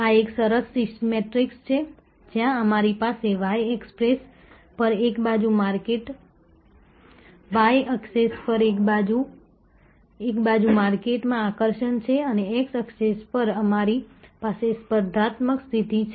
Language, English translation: Gujarati, This is a nice matrix, where we have on one side on the y access we have market attractiveness and on the x access we have competitive position